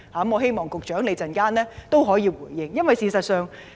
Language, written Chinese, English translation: Cantonese, 我希望局長稍後可以就此作出回應。, I hope the Secretary can give a reply on this later on